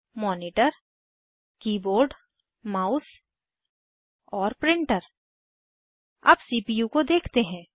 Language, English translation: Hindi, This is the CPU Monitor Keyboard Mouse and Printer Lets look at the CPU